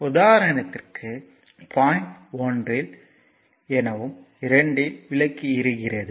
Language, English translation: Tamil, So, here it is point 1 it is 1 and 2 this is a lamp